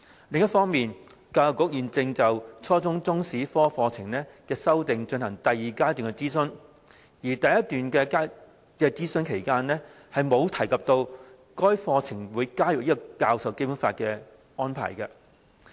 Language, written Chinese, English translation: Cantonese, 另一方面，教育局現正就初中中史科課程的修訂進行第二階段諮詢，而在第一階段諮詢期間沒有提及該課程會加入教授《基本法》的安排。, On the other hand EDB is currently conducting the second stage of consultation on the revised curriculum of the Junior Secondary Chinese History subject and it did not mention during the first stage of consultation that the arrangements for teaching BL would be included in the curriculum